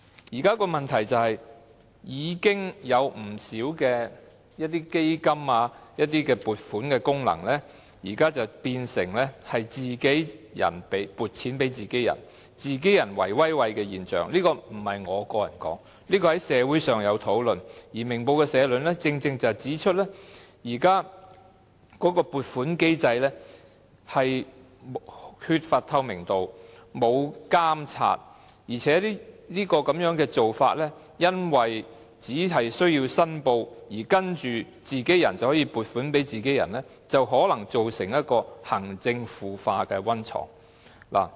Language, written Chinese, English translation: Cantonese, 現時的問題是，已經有不少基金和撥款功能，變成自己人撥款予自己人，造成自己人"圍威喂"的現象，這可不是我說的，社會上曾有討論，而《明報》的社論正正指出現時的撥款機制缺乏透明度和監察，而且這種做法只需有關人士作出申報，然後自己人就可以撥款予自己人，因而可能成為行政腐化的溫床。, It has been discussed in society and the editorial of Ming Pao exactly pointed out that the existing funding mechanism lacks transparency and regulation . Moreover such a practice simply requires the relevant persons to declare interests and then they may allocate funds to their own peers . For this reason it may become a breeding ground for corruption in district administration